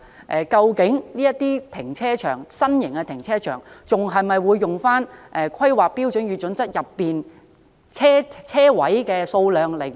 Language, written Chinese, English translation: Cantonese, 此外，這類新型停車場的車位數量是否仍沿用《香港規劃標準與準則》的準則？, Moreover will the authorities still follow the criteria set in the HKPSG when considering the number of parking spaces to be provided in the new car parks?